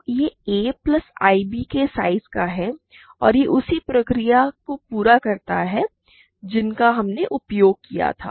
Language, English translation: Hindi, So, this is the size of a plus ib and carry out the same procedure that we used